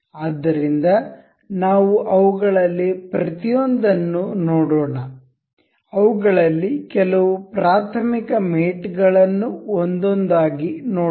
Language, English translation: Kannada, So, there one, we will go through each of them some, we will go through some elementary mates of them out of these one by one